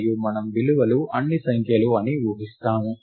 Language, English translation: Telugu, And we make an assumption that, the values are all numbers